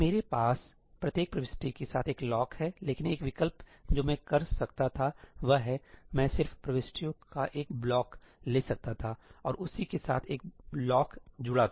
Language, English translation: Hindi, I have a lock with each and every entry, but an alternative that I could have done is, I could have just taken a block of entries and associated a lock with that